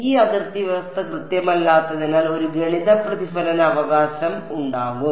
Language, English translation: Malayalam, Because this boundary condition is not exact, there will be a mathematical reflection right